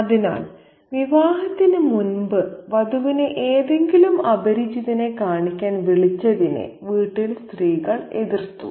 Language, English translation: Malayalam, So the women of the household objected to the bride being called before the wedding to see some stranger, but I paid no heed